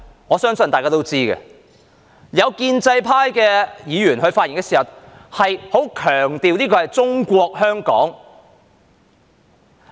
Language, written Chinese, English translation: Cantonese, 我相信大家都知道，有建制派議員發言時，十分強調這是"中國香港"。, I believe Members all know that some pro - establishment Members when they speak strongly stress that this is Hong Kong China